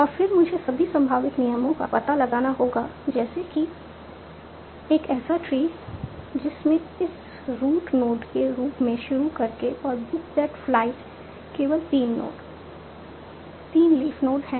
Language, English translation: Hindi, And then I have to explore all the possible rules such that I come up with a tree starting with S as the root node and book that flight as the only three node, three leaf nodes